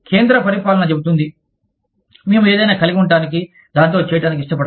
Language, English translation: Telugu, The central administration says, we do not want to have anything, to do with it